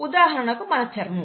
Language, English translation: Telugu, For example our skin